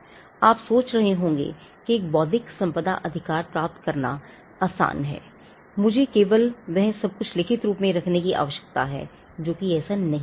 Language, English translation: Hindi, Now you may be wondering; so, is it easy to get an intellectual property right I just need to put everything in writing that is not the case